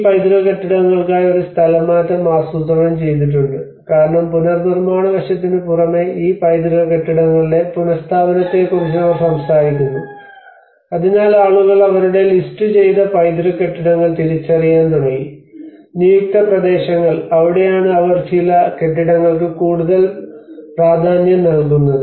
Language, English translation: Malayalam, And then there is a relocation aspect which has been planned out for these heritage buildings because apart from the reconstruction aspect they are also talking about the relocation of these heritage buildings so then that is where people started recognizing their listed heritage buildings, and you know the designated areas, and that is where probably they are claiming some more importance to certain buildings